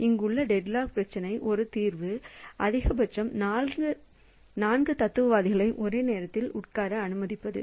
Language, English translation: Tamil, So, one solution to the deadlock problem here is to allow at most four philosophers to be sitting simultaneously